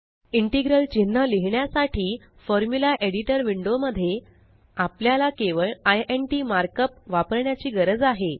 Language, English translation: Marathi, To write an integral symbol, we just need to use the mark up int in the Formula Editor Window